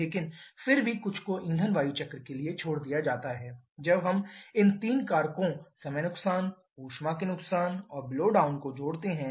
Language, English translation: Hindi, But still something is left out, so to the fuel air cycle once we add these three factors the time losses the heat losses and the blow down losses